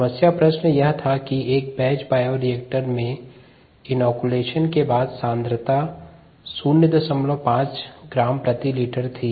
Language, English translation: Hindi, in a batch bioreactor, the concentration after inoculation was point five gram per liter